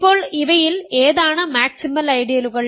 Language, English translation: Malayalam, Now, which of these are maximal ideals